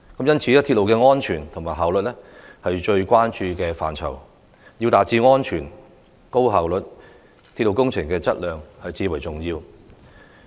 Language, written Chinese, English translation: Cantonese, 因此，鐵路的安全和效率是我們最關注的範疇，要達致安全和高效率，鐵路工程的質量至為重要。, In the foreseeable future Hong Kongs reliance on the railway will only keep increasing . For this reason the safety and efficiency of the railway is our prime concern . To attain safety and high efficiency the quality of railway works is critically important